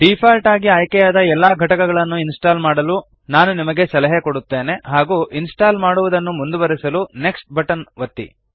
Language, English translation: Kannada, I advise you to install all the components selected by default and hit the next button to continue the installation